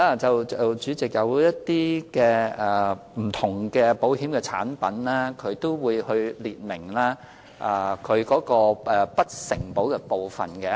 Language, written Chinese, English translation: Cantonese, 主席，當然，不同的保險產品會列明不承保的事項。, President of course different insurance products will specify the items not being covered